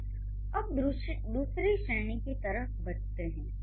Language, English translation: Hindi, Similarly, let's move to the second category